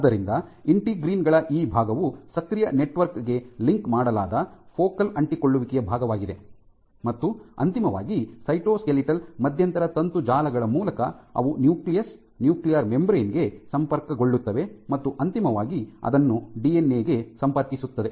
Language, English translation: Kannada, So, this part of integrins also part of the focal adhesions the linked to the active network, and eventually through intermediate cytoskeletal intermediate filament networks they are connected to the nucleus nuclear membrane and that will eventually link it to the DNA